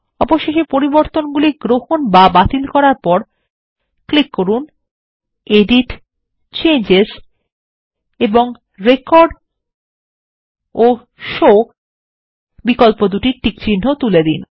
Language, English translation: Bengali, Finally, after accepting or rejecting changes, we should go to EDIT gtgt CHANGES and uncheck Record and Show options